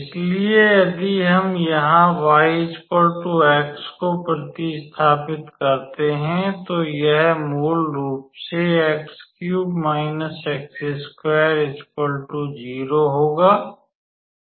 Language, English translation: Hindi, So, if we substitute y equals to x here, then it will be basically x cube minus x square